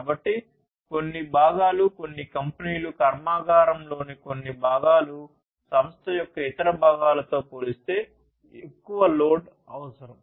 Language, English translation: Telugu, So, certain components, certain companies certain parts of the factory will require more load compared to the other parts of the company